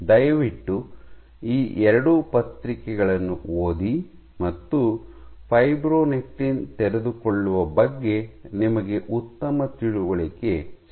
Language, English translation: Kannada, So these please read to these two papers, you will get good understanding about fibronectin unfolding